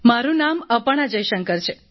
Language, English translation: Gujarati, My name is Aparna Jaishankar